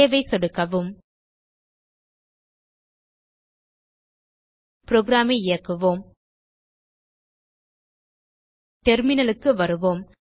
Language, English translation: Tamil, Now click on save Let us execute the program Come back to a terminal